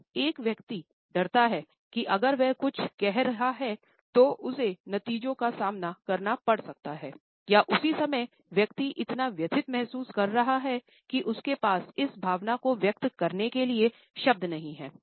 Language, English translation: Hindi, The person is afraid that if she and sub saying that she may have to face repercussions of it or at the same time the person is feeling so distressed that she does not have words to vocalise this feeling